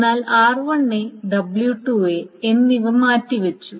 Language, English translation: Malayalam, But R1A and W2A has been swapped